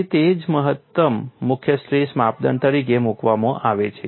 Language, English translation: Gujarati, So, that is why this is put as maximum principle stress criterion